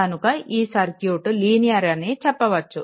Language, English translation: Telugu, So, in the circuit is linear circuit right